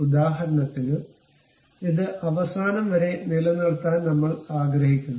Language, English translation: Malayalam, For example, I want to keep it to this end